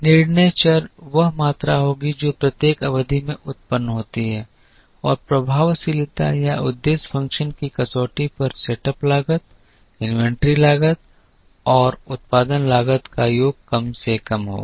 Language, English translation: Hindi, The decision variable will be the quantity that is produced in each period and the criterion of effectiveness or the objective function will be to minimize the sum of the setup costs, inventory costs and production cost